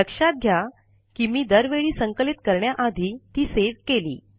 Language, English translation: Marathi, Notice that I have always compiled after saving the file